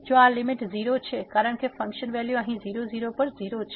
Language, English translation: Gujarati, If this limit is 0 because the function value we have seen a 0 here at